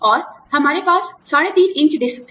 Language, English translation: Hindi, And, we had 3 1/2 inch disks